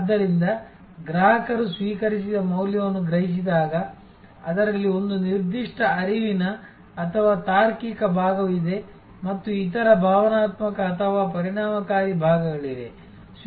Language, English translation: Kannada, So, when a customer perceives the value received, in that there is a certain cognitive or logical part and there are number of other emotional or effective parts